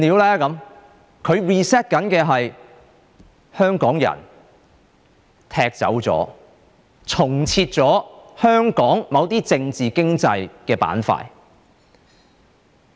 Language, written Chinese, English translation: Cantonese, 她要 reset 的是，踢走香港人，重設香港某些政治經濟板塊。, It is to reset Hong Kong . She wants to kick Hong Kong people out and reset certain political and economic sectors in Hong Kong